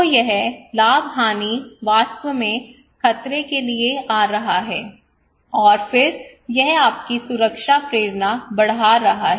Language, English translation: Hindi, So this plus minus actually coming to threat appraisal and then it is increasing your protection motivation